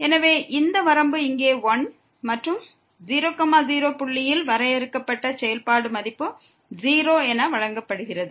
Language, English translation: Tamil, So, this limit here is 1 and the function value defined at point is given as 0